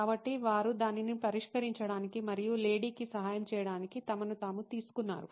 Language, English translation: Telugu, So, they took that upon themselves to solve it and to help the lady